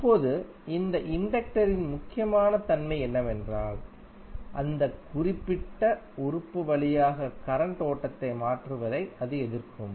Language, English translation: Tamil, Now, important property of this inductor is that it will oppose to the change of flow of current through that particular element